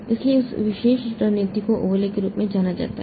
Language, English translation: Hindi, So, that particular strategy is known as the overlay